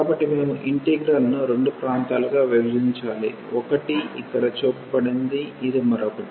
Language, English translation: Telugu, So, we have to break this integral into two regions one would be this one and the other one would be this one